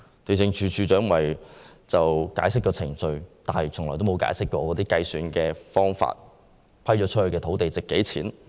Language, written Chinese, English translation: Cantonese, 地政總署署長只是解釋程序，但從沒解釋計算方法或披露已租出土地的價值。, The Director of Lands only explained the workflow involved but had not explained how land premium was calculated or disclosed the values of the leased land